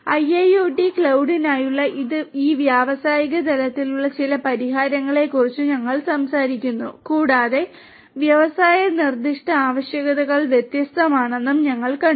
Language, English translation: Malayalam, We are talked about some of these different industry level solutions for IIoT cloud and we have also seen that industry specific requirements are different